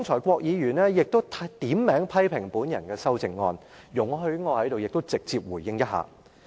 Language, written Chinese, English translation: Cantonese, 郭議員剛才點名批評我的修正案。請容許我現在直接回應。, Mr KWOK named my amendment for criticisms a moment ago so please allow me to give a direct response now